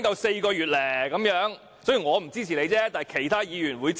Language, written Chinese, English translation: Cantonese, 雖然我不會支持，但其他議員亦會支持。, Despite my opposition other Members will support it